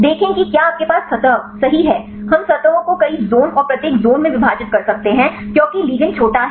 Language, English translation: Hindi, See if you have the surface right we can divide the surfaces several zones and each zones because ligand is small one right